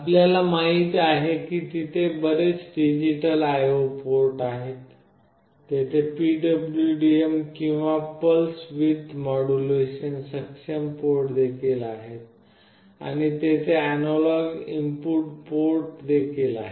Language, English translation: Marathi, As we know there are several digital IO ports, there are also PWM or Pulse Width Modulation enabled ports, and there are analog input ports